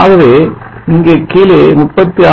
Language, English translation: Tamil, And this is 30